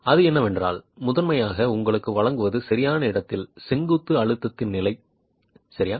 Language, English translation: Tamil, What it is primarily giving you is the level of in situ vertical stress